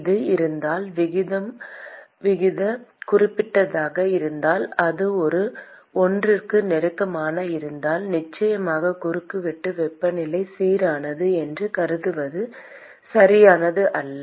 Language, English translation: Tamil, If it is if the aspect ratio is significant, if it is close to one, certainly it is not correct to assume that the cross sectional temperature is uniform